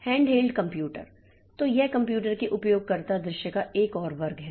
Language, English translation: Hindi, Handheld computers, so this is another class of user view of computers